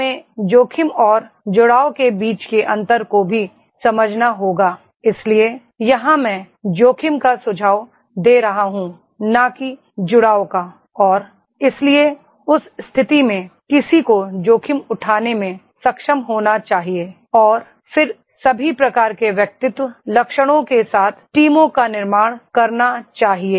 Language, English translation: Hindi, We have to also understand the differentiation between the risk and gambling, so here I am suggesting the risk and not the gambling and therefore in that case one should be able to take the risk and then build the teams with this all type of personality traits are there